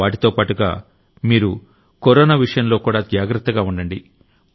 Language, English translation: Telugu, In the midst of all this, you also have to be alert of Corona